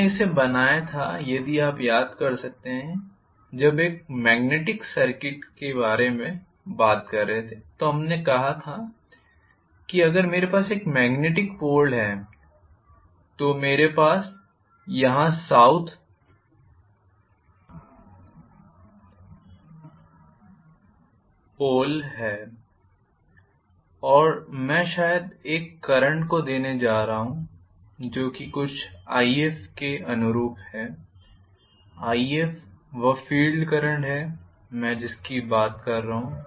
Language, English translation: Hindi, We drew this if you may recall when we were talking about magnetic circuit we said that if I have a magnetic pole here, I have the south pole here, and I am going to probably,you know push a current which is corresponding to some ‘If’, ‘If’is the field current I am talking about,ok